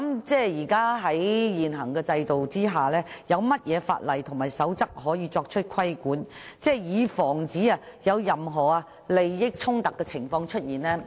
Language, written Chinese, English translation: Cantonese, 在現行制度之下，有何法例和守則可以作出規管，以防出現任何利益衝突的情況？, Under the existing system are there any laws and regulations in this regard to avoid conflicts of interests?